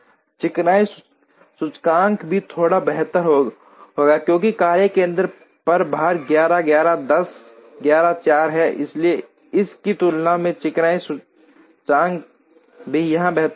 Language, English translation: Hindi, Smoothness index would also be slightly better, because the loads on the workstation are 11, 11, 10, 11, 4, so smoothness index will also be better here compared to this one